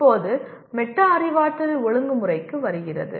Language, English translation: Tamil, Now coming to metacognitive regulation